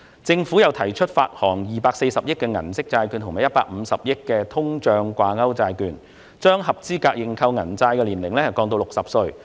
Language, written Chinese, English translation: Cantonese, 政府又提出發行240億元的銀色債券和150億元的通脹掛鈎債券，並將合資格認購銀色債券的年齡降至60歲。, The Government has also proposed to issue 24 billion of Silver Bond and 15 billion of iBond and lower the eligible age for subscribing Silver Bond to 60